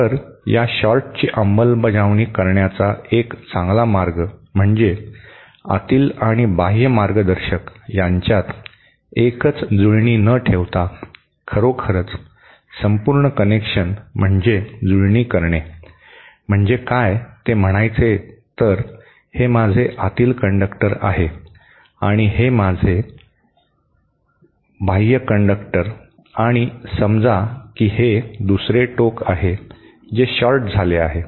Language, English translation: Marathi, So, a better way of implementing the same short would be that instead of having one single connection between the inner and the outer conductor, we might actually have a throughout connection, what I mean is, say this is my inner conductor and this is my outer conductor and say this is the other end which is shorted